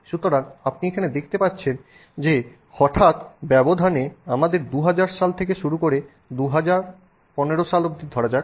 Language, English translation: Bengali, So, you can see here that suddenly in the space of let's say 2000, from the year 2000 till about the year, say, 2010 or 2015